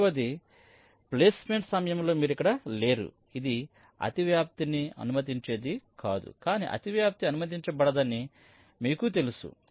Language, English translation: Telugu, you are not here, you are not actually this allowing overlapping, but you know that overlapping is not allowed